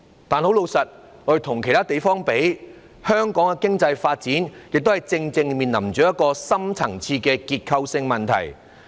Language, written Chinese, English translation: Cantonese, 可是，老實說，跟其他地方比較，香港的經濟發展正面臨深層次的結構性問題。, over the years . However frankly speaking compared with other places Hong Kongs economic development faces deep - seated structural problems